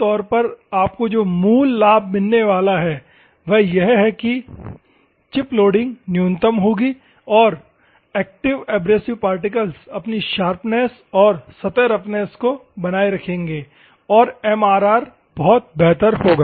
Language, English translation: Hindi, Normally, the basic advantage that you are going to get is the chip loading will be minimum and the active abrasive particles will retain it is original sharpness and the surface roughness and MMR will be much better